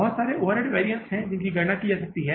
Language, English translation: Hindi, There are so many overhead variances which can be calculated